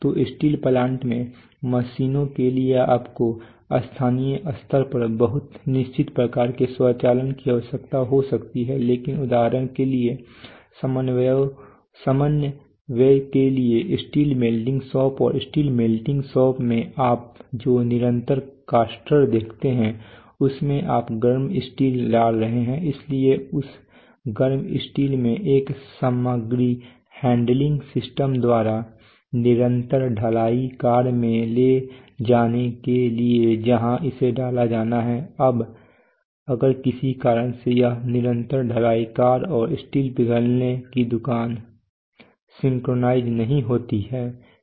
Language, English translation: Hindi, So for machines in steel plants you may be requiring very fixed type of automation locally but for coordination for example coordination between the steel melting shop and the continuous caster you see in the steel melting shop you are pouring out hot steel, so this hot steel has to be taken by a material handling system to the continuous caster where it has to be cast, now if for some reason this continuous caster and steel melting shop are not synchronized